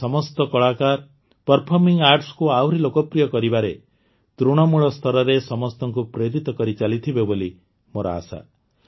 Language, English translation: Odia, I hope that all these artists will continue to inspire everyone at the grassroots towards making performing arts more popular